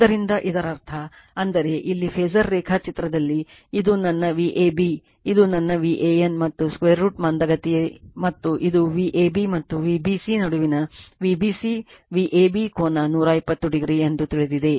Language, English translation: Kannada, So; that means, ; that means, here in the phasor diagram this is my V a b this is my V a n right and I L lags by theta and this is v b c V a b angle between V a b and V b c is 120 degree you know